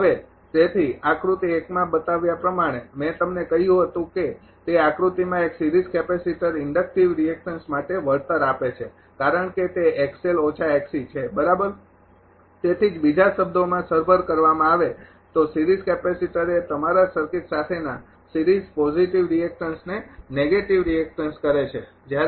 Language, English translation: Gujarati, Now, therefore, as shown in figure one I told you that those figure one is series capacitor compensates for inductive reactant because it is x l minus x c right; that is why is compensating in other words a series capacitor is a negative your reactance in series with the circuit with positive react